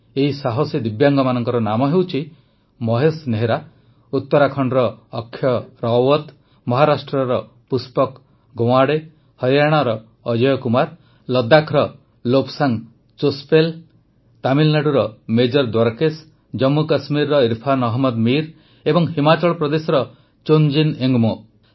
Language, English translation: Odia, The names of these brave Divyangs are Mahesh Nehra, Akshat Rawat of Uttarakhand, Pushpak Gawande of Maharashtra, Ajay Kumar of Haryana, Lobsang Chospel of Ladakh, Major Dwarkesh of Tamil Nadu, Irfan Ahmed Mir of Jammu and Kashmir and Chongjin Ingmo of Himachal Pradesh